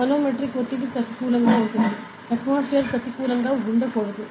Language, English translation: Telugu, So, the manometric pressure can be negative ok; while the atmospheric pressure cannot be negative